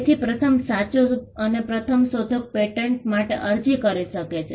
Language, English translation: Gujarati, So, first you have the true and first inventor; can apply for a patent